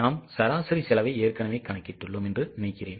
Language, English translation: Tamil, I think we have already calculated the average cost